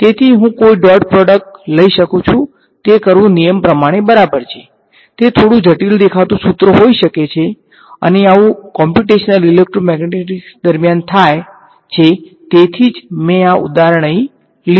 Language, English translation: Gujarati, So, I can take a dot product it is a legal thing to do, it may be a slightly complicated looking expression and this does happen during computational electromagnetics which is why I have taken this example